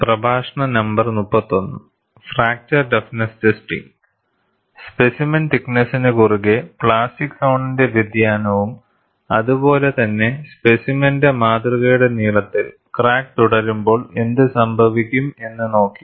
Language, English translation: Malayalam, See, we have looked at variation of plastic zone over the thickness of the specimen, as well as, what happens when the crack proceeds along the length of the specimen, how the situation takes place